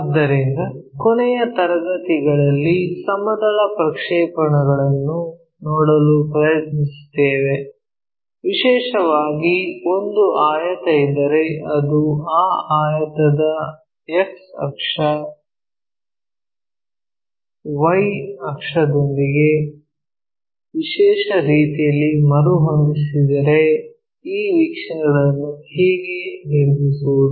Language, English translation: Kannada, So, in the last classes we try to look at projection of planes, especially if there is a rectangle and that rectangle if it is reoriented with the X axis, Y axis in a specialized way, how to construct these views